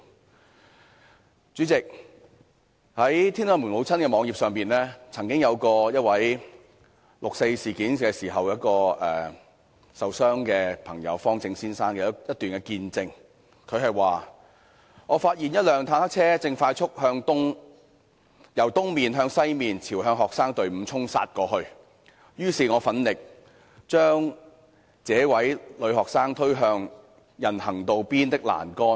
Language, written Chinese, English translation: Cantonese, 代理主席，在"天安門母親"的網頁上，曾經有一位在六四事件中受傷的朋友——方政先生——發表他的一段見證："我發現一輛坦克車正快速由東面向西面朝向學生隊伍衝殺過來，於是我奮力把這位女學生推向人行道邊的欄杆。, Deputy President on the website of the Tiananmen Mothers Mr FANG Zheng who was injured in the 4 June incident gave his testimony I noticed that a tank was charging rapidly from East to West towards the procession of students so I pushed this girl student with all my might to the railings on the edge of the pavement